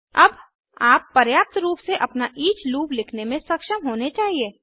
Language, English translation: Hindi, Now you should be capable enough to write your own each loop